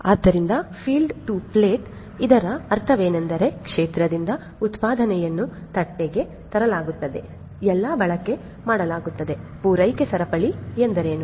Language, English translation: Kannada, So, field to plate so, what it means is that from the field where the production is made to the plate where the consumption is made, what is the supply chain